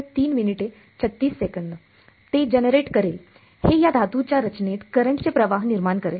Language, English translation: Marathi, It will generate, it will induce a current in this metallic structure right